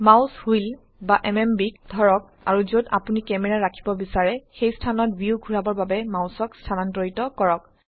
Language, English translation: Assamese, Hold the mouse wheel or the MMB and move the mouse to rotate the view to a location where you wish to place your camera